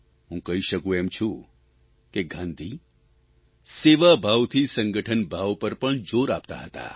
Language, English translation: Gujarati, I can say that Gandhi emphasized on the spirit of collectiveness through a sense of service